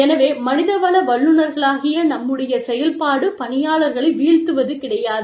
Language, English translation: Tamil, So, our job, as HR professionals, is not to put, people down